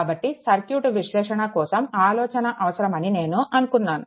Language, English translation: Telugu, So, little bit for circuit analysis as I thought little bit idea is required